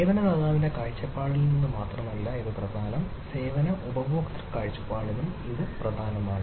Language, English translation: Malayalam, so it is important not only from the service provider point of view, it is also important for the service consumer point of view